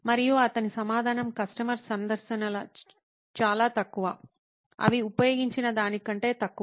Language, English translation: Telugu, And his answer was customer visits are few, are fewer than they used to be